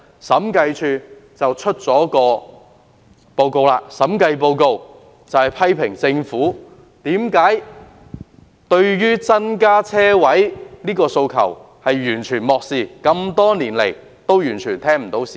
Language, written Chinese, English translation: Cantonese, 審計署昨天發表審計報告，批評政府完全漠視增加車位的訴求，多年來對市民的訴求完全充耳不聞。, In its Audit Report published yesterday the Audit Commission criticizes the Government for completely disregarding the demand for more parking spaces and turning a deaf ear to public demand for many years